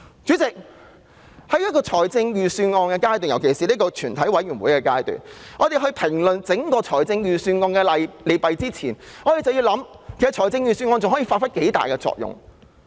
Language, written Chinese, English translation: Cantonese, 主席，在審議預算案，尤其是進行全體委員會審議時，我們應在評論整份預算案的利弊前，考慮預算案還可以發揮多大作用。, Chairman when deliberating on the Budget especially during the consideration by committee of the whole Council we should consider the effectiveness of the entire Budget before commenting on its pros and cons